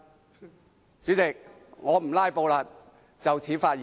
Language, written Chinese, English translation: Cantonese, 代理主席，我不"拉布"了，謹此發言。, Deputy President I will not filibuster . I so submit